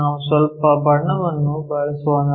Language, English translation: Kannada, Let us use some color